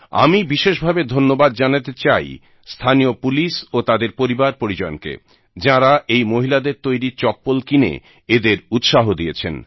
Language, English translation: Bengali, I especially congratulate the local police and their families, who encouraged these women entrepreneurs by purchasing slippers for themselves and their families made by these women